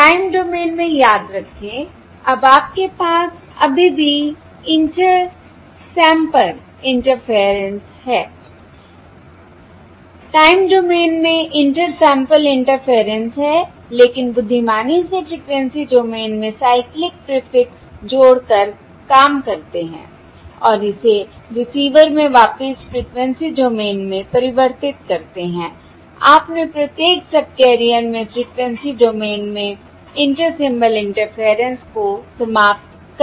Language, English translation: Hindi, the time domain, the inter sample interference is there, but the intelligently working in the frequency domain, by adding the cyclic prefix and converting it back into the frequency domain at the receiver, you have eliminated, or one has eliminated, the inter symbol interference in the frequency domain across each subcarrier